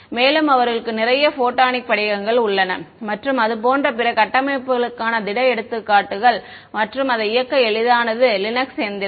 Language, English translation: Tamil, And, they have lots of other solid examples for photonic crystals and other structures like that and its easiest to run it on a Linux machine